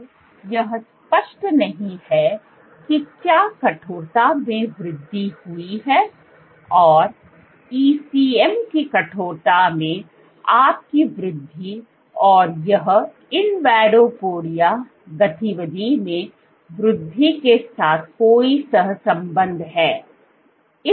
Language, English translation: Hindi, So, it remains unclear whether this increase in stiffness, you have increase in ECM stiffness, and this is correlated with increased in invadopodia activity